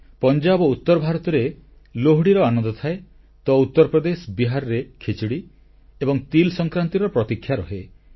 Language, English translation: Odia, Lohdi is celebrated in Punjab and NorthIndia, while UPBihar eagerly await for Khichdi and TilSankranti